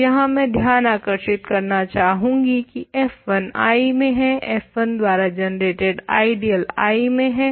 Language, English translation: Hindi, So, I emphasize that here f 1 is a I or ideal generated by f 1 is in I